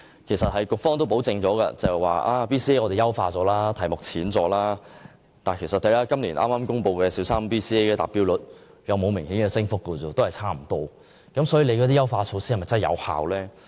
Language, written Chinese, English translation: Cantonese, 其實，局方表示已優化 BCA， 題目較為淺易，但剛公布的小三 BCA 達標率卻沒有明顯升幅，與之前相若，究竟優化措施是否有效？, As a matter of fact the Education Bureau says that BCA has been optimized with the questions getting easier . However according to the latest results of BCA the percentage of students having achieved the basic competence has not risen significantly . Is such optimization effective?